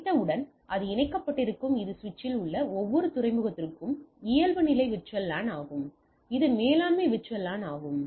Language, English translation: Tamil, So, once you connected it is attached, it is the default VLAN for every port in the switch is the management VLAN